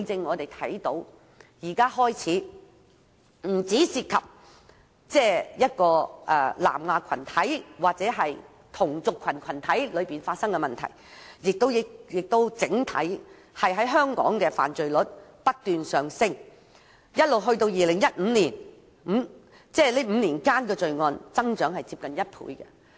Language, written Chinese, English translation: Cantonese, 我們看到現在不單涉及南亞裔同族群體發生問題，也導致整體香港犯罪率上升，直至2015年這5年間的罪案增長接近1倍。, As we can see the problem has now developed into internal conflicts within the South Asian ethnic group and has also resulted in a hike in the crime rate of Hong Kong . In the five years up to 2015 the crime rate here has almost doubled